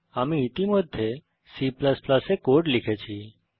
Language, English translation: Bengali, I have already made the code in C++